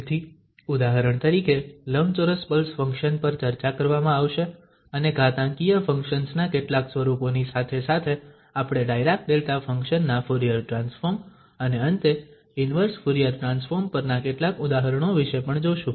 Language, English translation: Gujarati, So, for example, the rectangular pulse function will be discussed and also the some forms of the exponential functions as well as we will consider the Fourier Transform of Dirac Delta function and finally, some examples on inverse Fourier Transforms